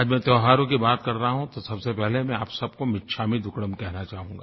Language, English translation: Hindi, Speaking about festivals today, I would first like to wish you all michhamidukkadam